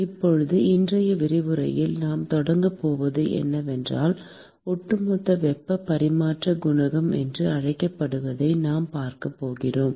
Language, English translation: Tamil, Now, what we are going to start with in today lecture is, we are going to look at what is called the Overall heat transfer coefficient